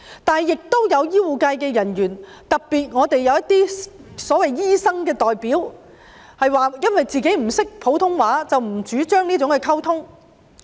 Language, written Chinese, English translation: Cantonese, 但是，亦有醫護人員，特別是一些所謂"醫生代表"，表示自己不懂普通話，並不主張這種溝通。, That said there are also some healthcare personnel especially some so - called doctor representatives who claim that they do not speak Putonghua and do not advocate such kind of communication